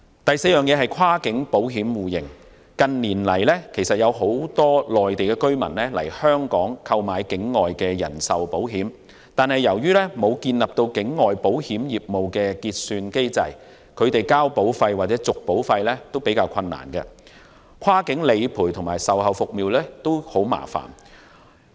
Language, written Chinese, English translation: Cantonese, 第四，在跨境保險互認方面，很多內地居民近年到香港購買境外人壽保險，然而，由於缺乏境外保險業務結算機制，他們繳納保費或續保繳費較為困難，跨境理賠及售後服務也很麻煩。, Fourth in respect of cross - border mutual recognition for the insurance industry we see that many Mainland residents have taken out insurance policies in Hong Kong in recent years . However as there is no overseas settlement mechanism for the insurance industry it is quite difficult for them to pay premiums for new policies or to pay renewal premiums . It is also troublesome to handle cross - border claims and deliver after - sales services